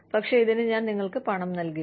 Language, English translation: Malayalam, But, I will not pay you, for this time